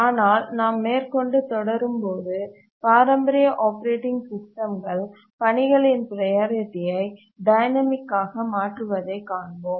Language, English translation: Tamil, but as you will see that the traditional operating systems change the priority of tasks dynamically